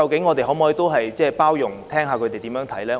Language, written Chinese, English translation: Cantonese, 我們可否多點包容，聽聽他們的看法？, Can we take a more tolerant attitude and listen to their views?